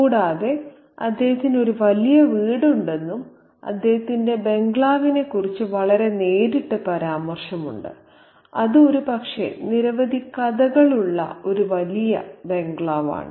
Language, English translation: Malayalam, There is a very direct reference to the bungalow that he has and it's a big bungalow with, you know, probably several stories